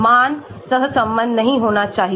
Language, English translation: Hindi, The value should not be correlated